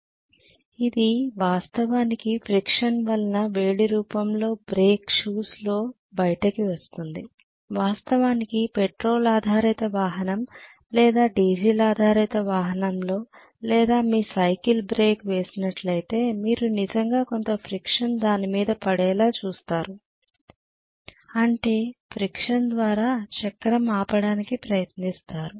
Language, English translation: Telugu, It is actually dissipated in the form of you know heat in the brake shoes that is friction, what you are doing as actually breaking in any of the petrol based vehicle or diesel based vehicle or your bicycle is your putting really some amount of friction you are trying to stop the wheel by putting friction